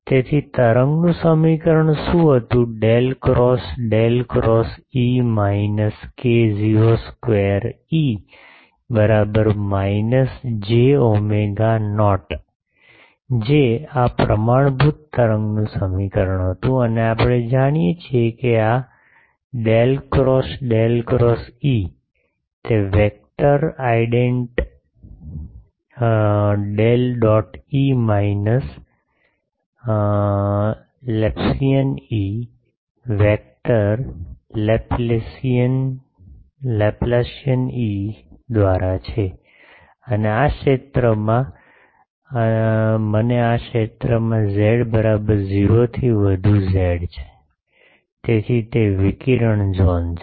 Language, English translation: Gujarati, So, what was the wave equation del cross del cross E minus k 0 square E is equal to minus j omega not j, this was the standard wave equation and we know that this del cross del cross E; that is by vector identity del dot E minus Laplacian E, vector Laplacian E ok, and in the region, I am interested in the region z is equal z greater than 0, so it is a radiated zone